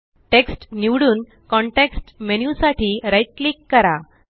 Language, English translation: Marathi, RIght click for the context menu and click Line